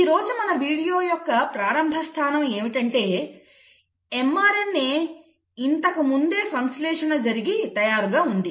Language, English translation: Telugu, So today we are going to start, starting point of the video is going to be that the mRNA has been already synthesised